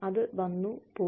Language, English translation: Malayalam, It came and went